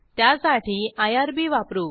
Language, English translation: Marathi, We will use irb for this